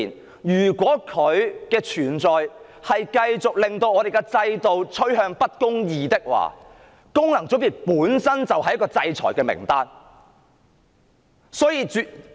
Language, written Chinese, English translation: Cantonese, 所以，如果功能界別的存在令香港的制度趨向不公義，功能界別本身便應被列入制裁名單。, If the existence of FCs is driving Hong Kongs system towards injustice then FCs deserve to be on the sanction list